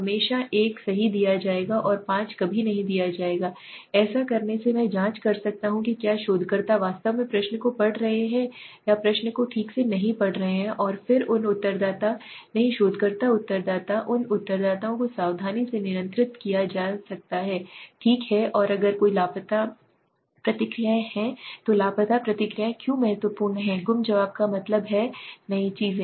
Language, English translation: Hindi, Always will be given 1 right and never will be given 5 so by doing this I can check whether researchers is actually reading the question or is not reading the question okay and then those respondents not researcher respondents those respondents could be should be carefully handled okay so and if there are any missing responses why are a missing responses important now missing Responses mean a number of things